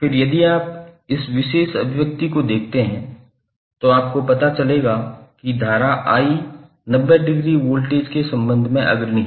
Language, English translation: Hindi, Then if you see this particular expression you will come to know that current I is leading with respect to voltage by 90 degree